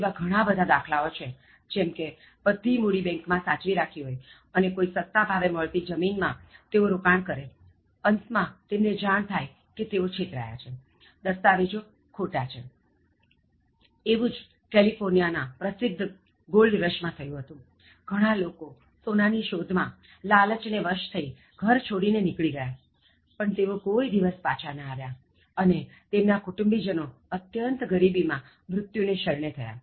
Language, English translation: Gujarati, So, many examples are there like, their entire money saved in bank, so they invest in some land that comes for low price, finally they find out that they got cheated, so the documents are false and then during the famous Gold Rush in California, for example, many people out of their greed they left in search of gold but they never returned and the family members died in utter poverty